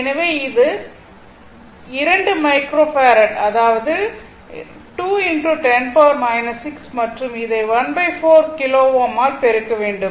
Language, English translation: Tamil, So, it is 2 microfarad; that means, 2 into 10 to the power minus 6 and this is into your 1 by 4 kilo ohm